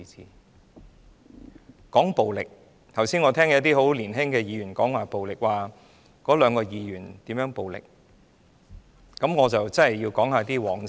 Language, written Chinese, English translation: Cantonese, 說到暴力，我剛才聽到一些十分年青的議員提及那兩位議員如何使用暴力，我真的要談談往事。, When it comes to violence just now I heard certain young Members commenting on the use of violence by the two Members I cannot help recapitulating some events in the past